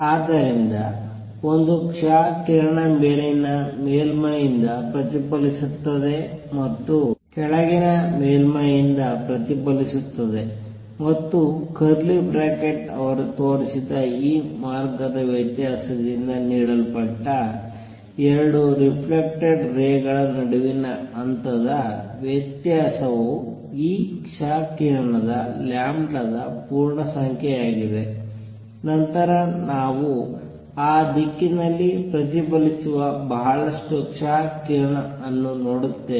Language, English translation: Kannada, So, an x ray coming in gets reflected from the top surface gets reflected from the bottom surface and if the phase difference between the 2 reflected rays, which is given by this path difference shown by curly bracket is integer multiple of lambda of these x rays, then we would see lot of x rays reflected in that direction